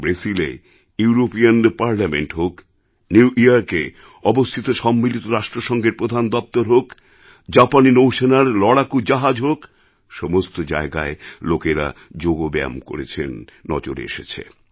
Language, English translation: Bengali, In the European Parliament in Brussels, at the UN headquarters in New York, on Japanese naval warships, there were sights of people performing yoga